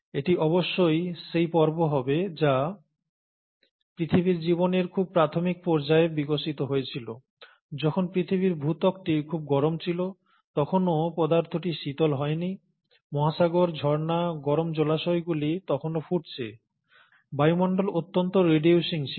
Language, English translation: Bengali, Now this must be the phase which must have evolved during the very early stages of earth’s life, when the earth’s crust was very hot, the material has still not cooled down, the oceans, the springs, the hot pools were still boiling, the atmosphere was highly reducing